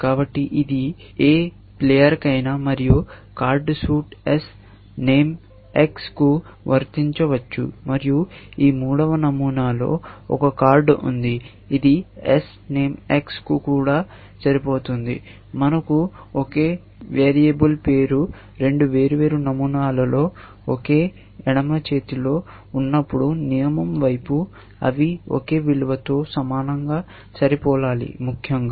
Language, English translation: Telugu, So, it could be applied to any player, and card suit s name X, and we are saying, in this third pattern that there is a card, which is also; whenever, we have same variable name in two different patterns in the same left hand side of the rule, they must match identically, to the same value, essentially